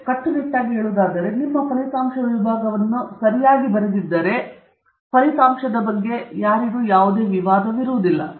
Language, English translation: Kannada, So, strictly speaking, if you have written your result section correctly, there can be no controversy on the result